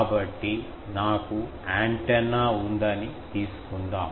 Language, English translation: Telugu, So let me take that I have an antenna